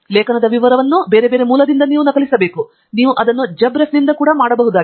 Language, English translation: Kannada, You have to copy paste the reference detail from some other source, you can do it from JabRef also